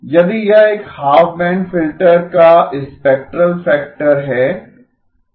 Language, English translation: Hindi, If this is a spectral factor of a half band filter, right